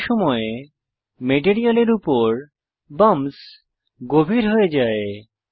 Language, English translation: Bengali, At the same time, the bumps on the material have become deeper